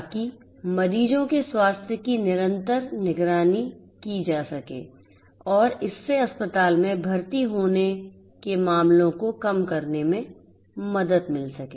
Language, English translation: Hindi, So, that continuous monitoring of patients health can be done and this can also help in reducing the number of cases of hospitalization